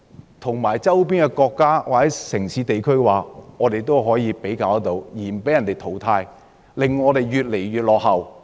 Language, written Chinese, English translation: Cantonese, 如何可以與周邊國家、城市或地區比較，而不被淘汰，以免我們越來越落後？, How can we be comparable with the countries cities and places around us without being eliminated or falling behind?